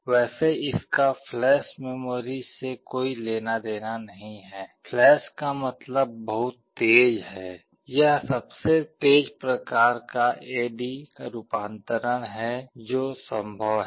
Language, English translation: Hindi, Well this has nothing to do with flash memory, flash means very fast, this is the fastest type of A/D conversion that is possible